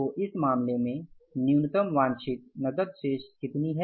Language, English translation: Hindi, And what is the minimum desired balance of the cash